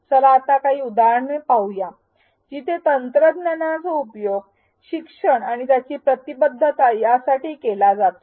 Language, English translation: Marathi, Let us now see some examples where technology affordances indeed have been utilized to address learning and engagement